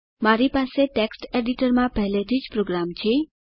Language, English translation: Gujarati, I already have a program in the Text editor